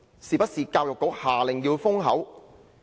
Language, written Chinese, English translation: Cantonese, 是不是教育局下令要封口？, Is it because the Education Bureau ordered them to hush up?